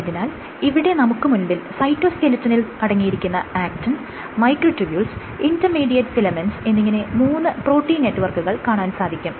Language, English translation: Malayalam, So, there are three protein networks which constitute the cytoskeleton, the actin filaments, the microtubules, and intermediate filaments